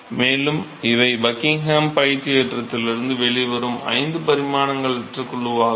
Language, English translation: Tamil, And, these are the five dimensions less group that will come out of the Buckingham pi theorem